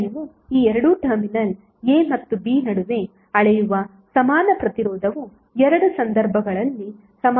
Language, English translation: Kannada, Now the equivalent resistance which you will measure between these two terminal a and b would be equal in both of the cases